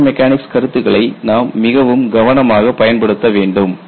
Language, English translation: Tamil, You have to apply fracture mechanic concepts very, very carefully